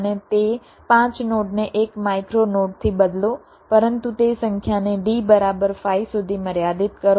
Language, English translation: Gujarati, take that and replace those five nodes by a single micro node, but limit that number to d equal to five